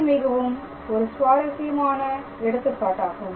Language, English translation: Tamil, So, this is another interesting example